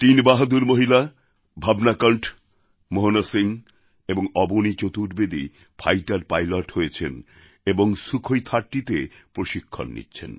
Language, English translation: Bengali, Three braveheart women Bhavna Kanth, Mohana Singh and Avani Chaturvedi have become fighter pilots and are undergoing training on the Sukhoi 30